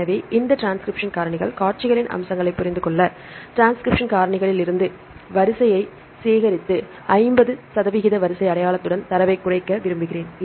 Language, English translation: Tamil, So, to understand the features of this transcription factors, sequences, I would like to collect the sequence from the transcription factors and reduce the data with 50 percent sequence identity